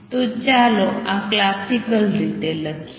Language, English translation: Gujarati, So, let us write this classically